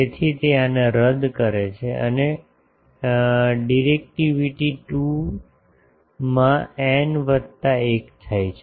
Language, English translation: Gujarati, So, that cancels this and the directivity becomes 2 into n plus 1